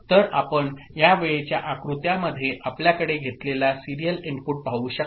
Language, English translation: Marathi, So, you can see in this timing diagram the serial input that we are having